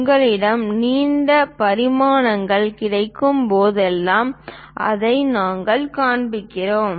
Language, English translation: Tamil, Whenever you have available long dimensions, we show it like over that